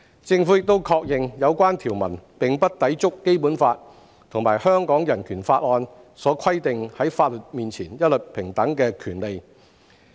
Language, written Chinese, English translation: Cantonese, 政府亦確認，有關條文並不抵觸《基本法》和香港人權法案所規定在法律面前一律平等的權利。, The Government has also confirmed that the provision concerned is not in conflict with the right of equality before the law enshrined by the Basic Law and the Hong Kong Bill of Rights